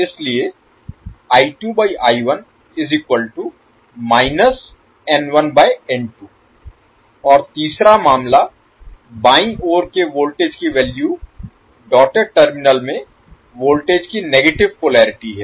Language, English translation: Hindi, And the third case, the value of the voltages in left side the dotted terminal has negative polarity of the voltage